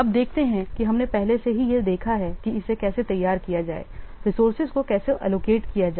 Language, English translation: Hindi, Now let's see so far we have already seen about how to prepare this how to allocate the resources